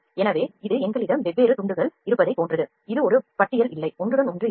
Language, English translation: Tamil, So, this is in the similar way we have different slices this is no roster there is no overlapping